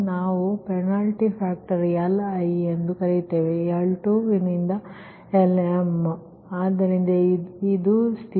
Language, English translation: Kannada, we call right penalty factor, li, that is l two, l two up to lm, right, so this is the condition